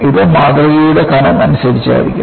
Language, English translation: Malayalam, It depends on thickness of the specimen also